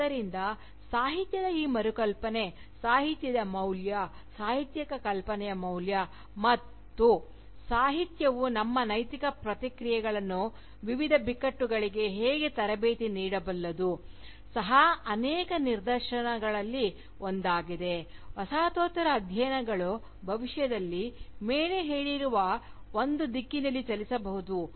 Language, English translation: Kannada, So, this re imagining of Literature, of the value of Literature, of the value of Literary Imagination, and how Literature can train our Ethical responses, to various crisis, also presents itself, as one of the many directions, towards which Postcolonial studies might move towards, in the Future